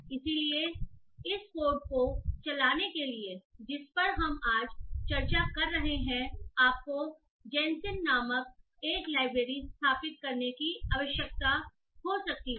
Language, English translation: Hindi, So to run this course that we are discussing today you might be requiring to install a library called gENCIM